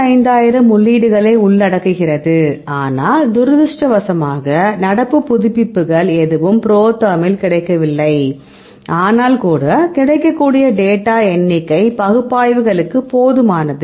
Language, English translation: Tamil, So, it contents about 25000 entries that unfortunately current a there is no current updates available ProTherm, but even then the available number of data are sufficient for the analyses